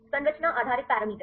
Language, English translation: Hindi, Structure based parameters